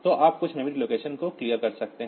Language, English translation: Hindi, So, you can clear some memory location